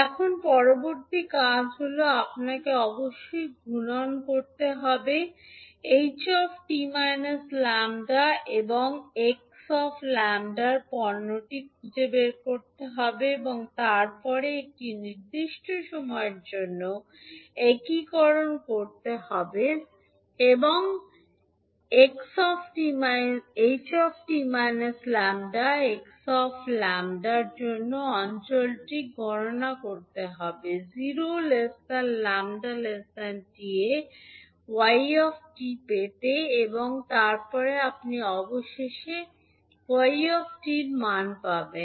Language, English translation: Bengali, Now next task is that you have to multiply, find the product of h t minus lambda and x lambda and then integrate for a given time t and calculate the area under the product h t minus lambda x lambda for time lambda varying between zero to t and then you will get finally the value of yt